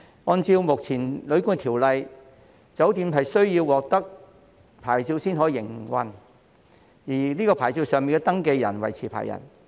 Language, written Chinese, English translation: Cantonese, 按照目前《旅館業條例》，酒店須獲得牌照方可營運，而該牌照上的登記人為持牌人。, Pursuant to the current Hotel and Guesthouse Accommodation Ordinance a hotel shall obtain a licence for operation with the registrant named in the licence being the licence holder